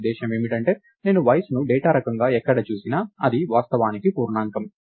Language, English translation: Telugu, So, what I mean by that is, wherever I see Age as a data type in turn its actually just an integer